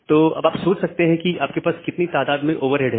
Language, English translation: Hindi, So, you can just think of that what is the amount of overhead you have